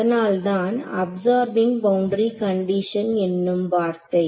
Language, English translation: Tamil, So hence, the word absorbing boundary condition